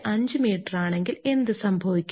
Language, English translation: Malayalam, 5 meter what will happen